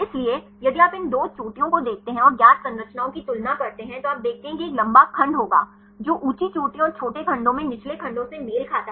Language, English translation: Hindi, So, if you see these twp peaks and compare the known structures you see there will be a longer segment which corresponds the high peaks and shorter segments of helices in the lower peaks